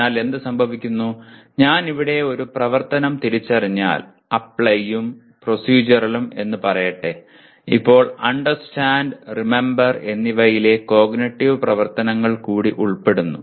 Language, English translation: Malayalam, So what happens, if I identify an activity here, let us say apply and procedural then the cognitive activities in Understand and Remember are implied